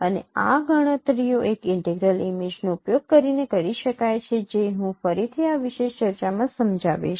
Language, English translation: Gujarati, And these computations can be carried out using an integral image which again I will explain in this particular discussion